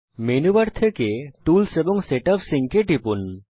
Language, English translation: Bengali, From the menu bar click tools and set up sync